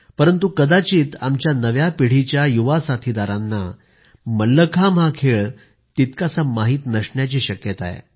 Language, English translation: Marathi, However, probably our young friends of the new generation are not that acquainted with Mallakhambh